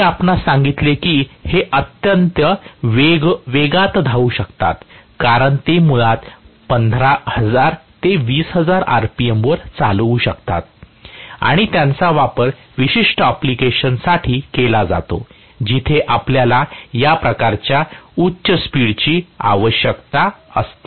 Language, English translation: Marathi, I told you that these can run at very very high speeds, because they can run basically at 15000 to 20000 r p m and they are specifically used for certain applications where we require this kind of high speed